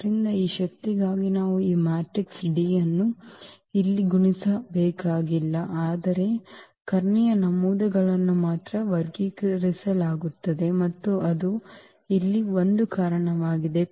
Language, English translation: Kannada, So, we do not have to actually multiply these matrices D here for this power, but only the diagonal entries will be squared and that is a reason here